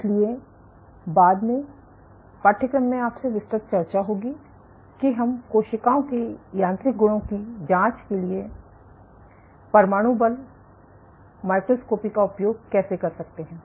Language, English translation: Hindi, So, later in the course you will have a detailed discussion of how we can use AFM for probing mechanical properties of cells